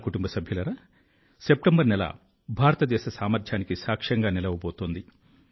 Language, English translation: Telugu, My family members, the month of September is going to be witness to the potential of India